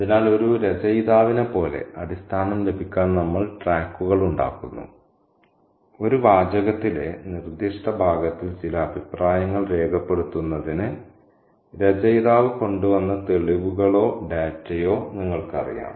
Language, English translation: Malayalam, So, like an author, we kind of make tracks to get at the basis or the, you know, the evidence or the data that the author has come up with in order to make certain comments in the particular passage in a text